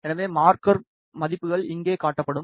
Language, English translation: Tamil, So, the marker values are displayed over here